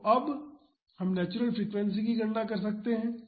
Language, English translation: Hindi, So, now we can calculate the natural frequency